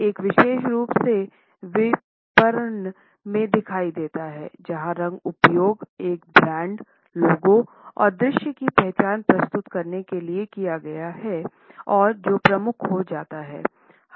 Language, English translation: Hindi, It is particularly visible in marketing where the color, which has been used for presenting a brands logo and visual identity, becomes dominant